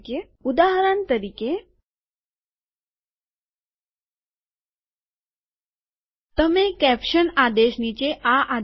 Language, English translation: Gujarati, For example you give this command below the caption command